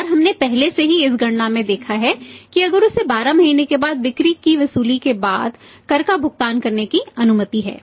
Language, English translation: Hindi, And we have seen already in the previous this calculation that if he is allowed to pay the tax after the realisation of the sales after 12 months